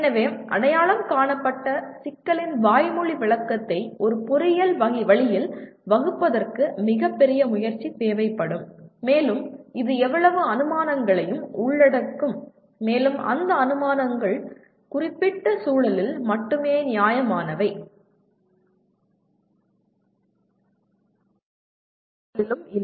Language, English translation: Tamil, So translating a verbal description of an identified problem into formulating in an engineering way will take a tremendous amount of effort and it will involve any number of assumptions and those assumptions are justifiable only in certain context but not in all context